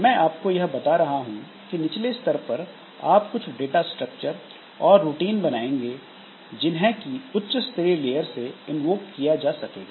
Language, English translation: Hindi, So, at lower level you implement some data structures and routines that are invoked by the higher level layers